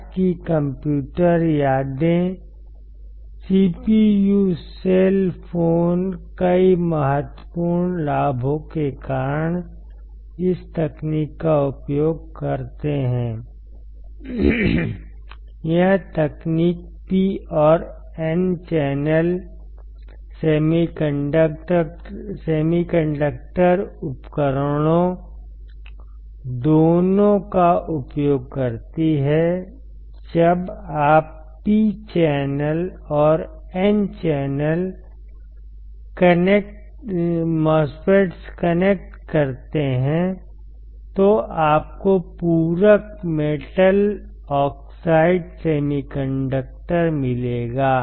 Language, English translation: Hindi, Today’s computer memories CPU cell phones make use of this technology due to several key advantages; this technology makes use of both P and N channel semiconductor devices, when you connect P channel and N channel MOSFETs, you will get complementary metal oxide semiconductor